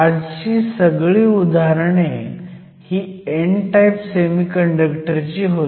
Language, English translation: Marathi, All the examples, you have worked out today were with an n type semiconductor